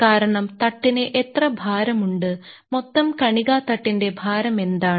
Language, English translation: Malayalam, Because what is the load on the bed that, what is the weight of the total particle bed